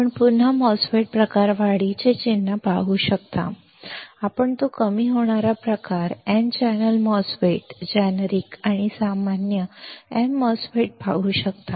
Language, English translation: Marathi, You can again see the symbol of enhancement type MOSFET; you can see that depletion type n channel MOSFET generic and general m MOSFET